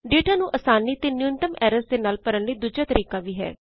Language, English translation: Punjabi, There is another way to enter data swiftly as well as with minimum errors